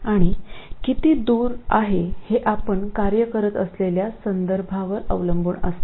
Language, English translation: Marathi, And how far is too far very much depends on the context that you are working in